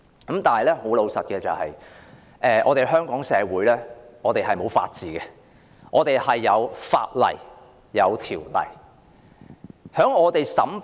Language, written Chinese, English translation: Cantonese, 然而，老實說，香港社會是沒有法治的，我們只有法例和條例。, However frankly speaking there is no rule of law in the society of Hong Kong; we only have laws and ordinances